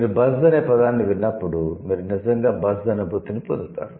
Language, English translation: Telugu, So, buzz, when you hear the word buzz, you actually get the feeling of buzz